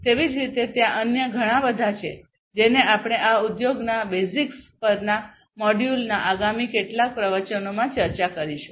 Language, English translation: Gujarati, Likewise, there are different other ones which we are going to go through in the next few lectures of this module on Industry 4